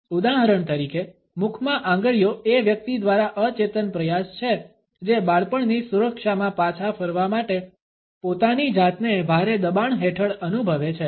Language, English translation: Gujarati, For example, fingers in mouth is an unconscious attempt by the person, who is finding himself under tremendous pressure to revert to the security of a childhood